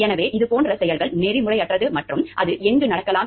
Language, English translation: Tamil, So, this is this kind of acts are unethical and where , or it may so happen